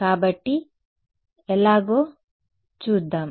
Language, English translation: Telugu, So, let us see how